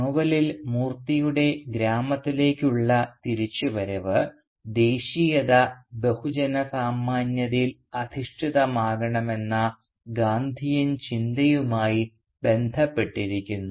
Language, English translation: Malayalam, Now in the novel Moorthy’s return to Kanthapura is also connected with the Gandhian notion of making nationalism mass based